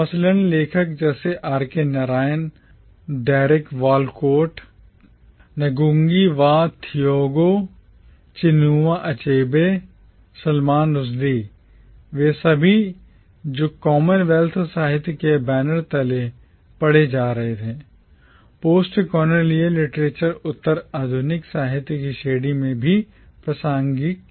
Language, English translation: Hindi, Narayan, Derek Walcott, Ngugi Wa Thiong’o, Chinua Achebe, Salman Rushdie, all of them who were being read under the banner of commonwealth literature were also relevant within the category of postcolonial literature